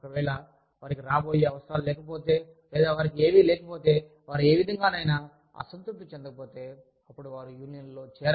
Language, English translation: Telugu, If, they do not have any impending needs from, or, if they do not have any, they are not dissatisfied in any manner, then, they will not go and join, a union